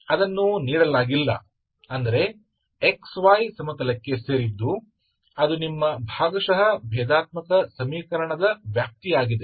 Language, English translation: Kannada, So it nothing is given that means X Y belongs to the plane so that is your domain of the differential equation, partial differential equation